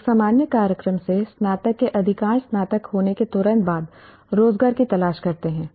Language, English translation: Hindi, Majority of the graduates from a general program seek employment immediately after graduation